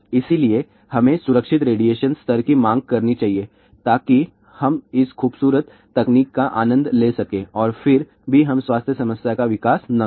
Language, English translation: Hindi, So, we must demand safe radiation level so that we can enjoy this beautiful technology and yet we do not develop the health problem